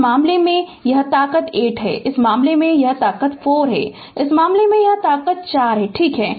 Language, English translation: Hindi, In this case it is strength is 8, in this case it is strength is 4, in this case also it is strength is 4, right